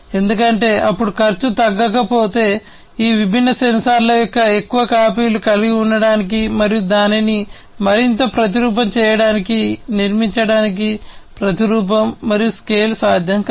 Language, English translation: Telugu, Because if cost is not reduced then, you know, it is not possible to replicate and scale up to build to have more copies of these different sensors and you know replicate it further